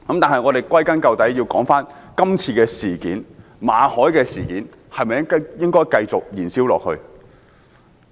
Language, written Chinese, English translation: Cantonese, 但歸根究底，今次馬凱事件應否繼續燃燒下去？, But after all should we let the MALLET incident continue to burn?